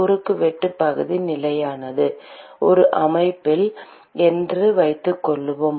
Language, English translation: Tamil, the cross section area is constant supposing for a system